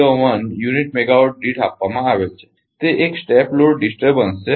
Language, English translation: Gujarati, 01 per unit megawatt this is a step load disturbance